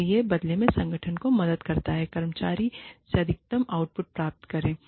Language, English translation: Hindi, And, that in turn, helps the organization, get the maximum output, from the employees